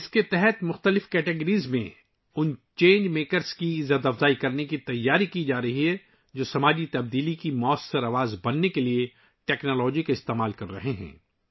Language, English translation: Urdu, Under this, preparations are being made to honour those change makers in different categories who are using technology to become effective voices of social change